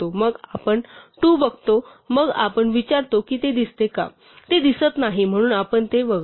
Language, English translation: Marathi, Then we look at 2 then we ask does it appear; it does not appear so we skip it